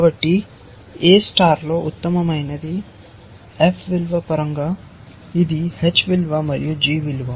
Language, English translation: Telugu, So, in A star the best is defined in terms of the f value, which is h value plus g value